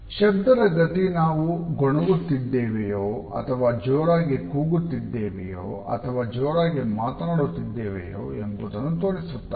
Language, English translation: Kannada, The volume of voice shows our feelings if it is a whisper or a loud voice or are we shouting